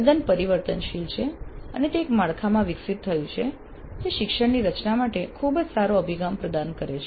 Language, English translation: Gujarati, It's quite flexible and it has evolved into a framework that facilitates a very good approach to designing the learning